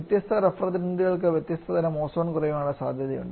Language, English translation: Malayalam, Different refrigerants has different kind of ozone depletion potential